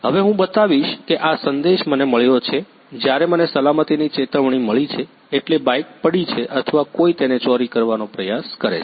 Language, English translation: Gujarati, Now I will show this is the message I got, when I got the safety alert means either the bike is fallen or someone tries to steal it